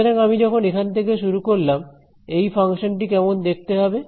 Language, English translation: Bengali, So, when I start from here what will this function look like b is 0 right